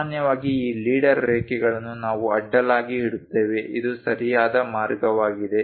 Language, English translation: Kannada, Usually, these leader lines we keep it horizontal, this is the way